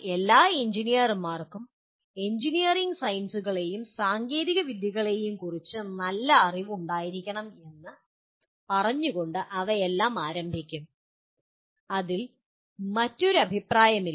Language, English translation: Malayalam, But all of them will start with say all good engineers must have sound knowledge of engineering sciences and technologies, on that there is absolutely no second opinion about it